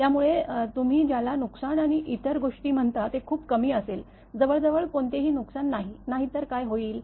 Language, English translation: Marathi, So, what you call the damage and other thing will be very very; less I mean almost no damage; otherwise what will happen